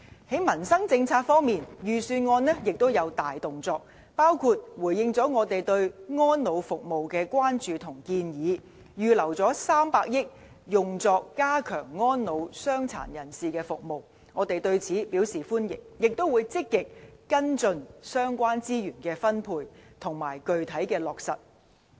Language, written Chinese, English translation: Cantonese, 在民生政策方面，預算案也有大動作，包括回應了我們對安老服務的關注和建議，預留300億元用作加強安老、傷殘人士的服務，我們對此表示歡迎，也會積極跟進相關資源分配，以及具體的落實情況。, In terms of policies on peoples livelihood the Budget has introduced many measures too including earmarking 30 billion for strengthening elderly care and services for persons with disabilities in response to our concerns and recommendations . We welcome such a proposal and will actively follow up corresponding resources deployment and implementation of the measures